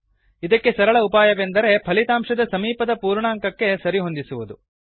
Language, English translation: Kannada, The best solution is to round off the result to the nearest whole number